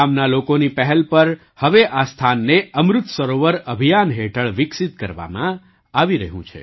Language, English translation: Gujarati, On the initiative of the villagers, this place is now being developed under the Amrit Sarovar campaign